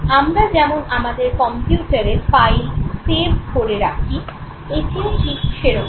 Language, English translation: Bengali, It is just like we save files in our computers